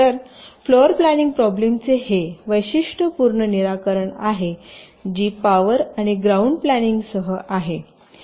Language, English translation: Marathi, so this is a typical solution to the floor planning problem, including power and ground planning